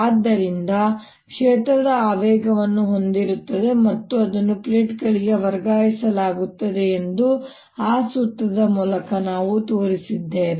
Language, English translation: Kannada, so what we have shown through that formula: that field carries momentum and it is transferred to plates